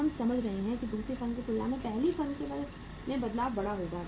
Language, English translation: Hindi, Now, we are understanding that change will be bigger in first firm as compared to the second firm